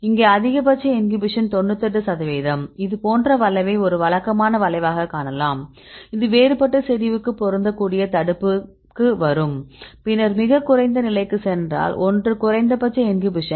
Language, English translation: Tamil, So, if you see this is the 98 percent of maximal inhibition, you can see the curve like this is a usual curve we will get to for the inhibition this fit different concentration, then if you goes to the lowest one the minimal inhibition is 10